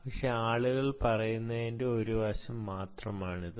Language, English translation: Malayalam, but that just one aspect of what people have been saying really